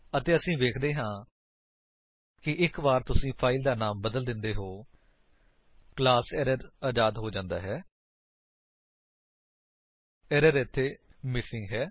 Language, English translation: Punjabi, And we see that once you rename the file, the class back to ErrorFree, the error here is missing